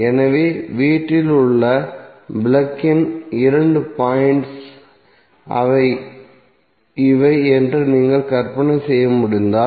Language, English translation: Tamil, So if you can imagine that these are the two thumbnails of your plug point in the house